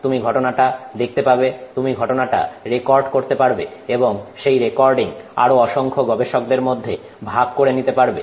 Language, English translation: Bengali, You can see that phenomenon, you can record that phenomenon and share that recording with a lot of other researchers